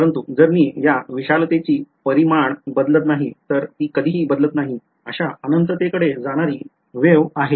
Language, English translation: Marathi, But, if I plot the magnitude of this the amplitude of this is unchanged it is the wave that goes off to infinity it never decays